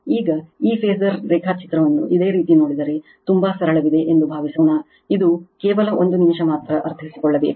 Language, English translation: Kannada, Now, if you look in to this phasor diagram, suppose there is there is very simple it is just a minute only understanding you require